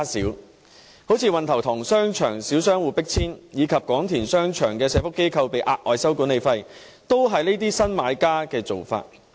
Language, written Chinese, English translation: Cantonese, 舉例而言，運頭塘商場小商戶被迫遷，以及廣田商場的社會福利機構被收取額外管理費，也是這些新買家的做法。, For example the deeds of such new buyers include forcing the small shop operators in Wan Tau Tong Shopping Centre to vacate and charging the social welfare organizations in Kwong Tin Shopping Centre additional management fees